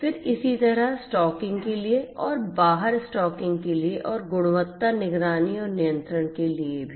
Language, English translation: Hindi, Then similarly, for the stocking in and stocking out and also for quality monitoring and control